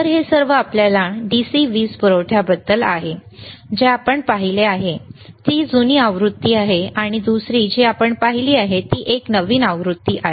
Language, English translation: Marathi, So, this is all about your DC power supply, one that we have seen is older version, and other that we have seen is a newer version